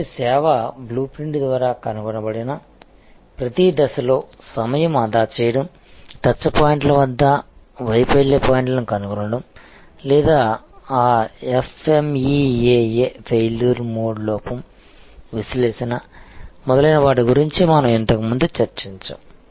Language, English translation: Telugu, So, time saving, cost saving at every stage found through the service blue print, finding the failure points at the touch points or failure possibilities we discussed about that FMEA Failure Mode Defect Analysis, etc earlier